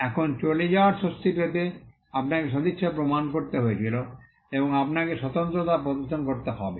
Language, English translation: Bengali, Now, to get a relief of passing off, you had to prove goodwill and you had to show distinctiveness